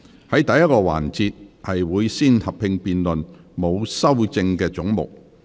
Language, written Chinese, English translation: Cantonese, 在第1個環節，會先合併辯論沒有修正案的總目。, In the first session the committee will first proceed to a joint debate on all the heads with no amendment